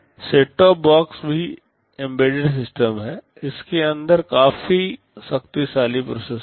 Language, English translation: Hindi, Set top box are also embedded systems, there are quite powerful processors inside them